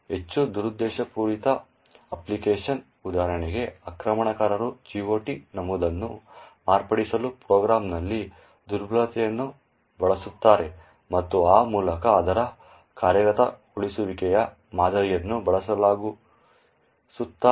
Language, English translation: Kannada, In a more malicious application, for example an attacker would use a vulnerabilty in the program to modify the GOT entry and thereby change its execution pattern